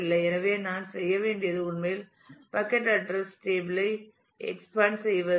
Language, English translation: Tamil, So, all that I need to do is to actually expand the bucket address table